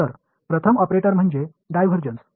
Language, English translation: Marathi, So, the first operator is the divergence